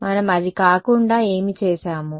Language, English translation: Telugu, What did we do rather